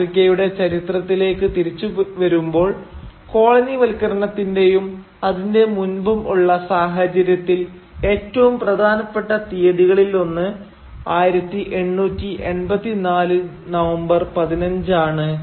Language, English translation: Malayalam, Now coming back to the African historical context, one of the most important dates which will help us explore this African context, both colonial and precolonial history, is the date 15th of November 1884